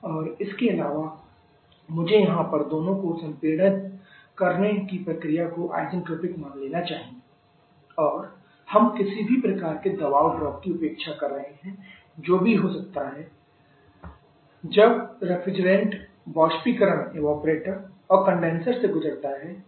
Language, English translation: Hindi, And also, I should at that your assuming both the compression process assuming both the compression process to isentropic and we are neglecting any kind of pressure drop that may takes place when the different passes through that evaporated condenser in heat addition